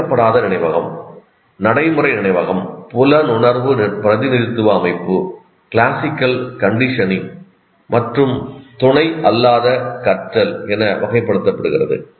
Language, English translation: Tamil, There are five different ones or procedural memory, perceptual representation system, classical conditioning, and non associative learning